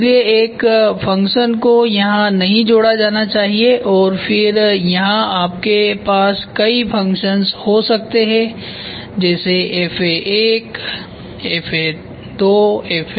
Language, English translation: Hindi, So, one function should not be linked here and then here you can have multiple functions FA1, FA2, FA3 whatever it is